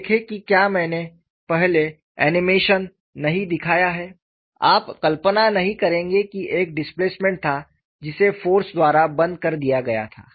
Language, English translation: Hindi, See if I have not shown the animation earlier, you would not visualize that there was a displacement which was closed by the force